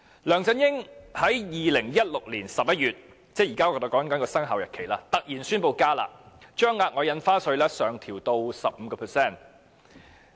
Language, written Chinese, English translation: Cantonese, 梁振英在2016年11月——即我們現在提及的生效日期——突然宣布"加辣"，把額外印花稅上調至 15%。, In November 2016―that means the commencement date to which we are now referring―LEUNG Chun - ying suddenly announced enhancing the curb measures raising the ad valorem stamp duty rate to 15 %